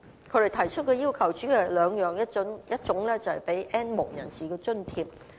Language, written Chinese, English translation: Cantonese, 他們提出的要求主要有兩方面，一種是提供津貼給 "N 無人士"。, There are two points about their request . The first is to provide subsidy to the N have - nots